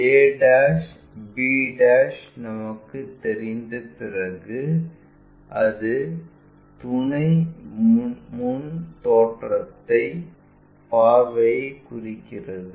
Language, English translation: Tamil, Once we know that that a' b' represents our auxiliary front view